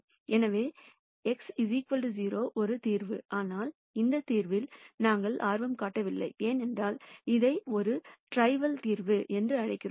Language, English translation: Tamil, So, x equal to 0 is a solution, but we are not interested in this solution, because this is what we call as a trivial solution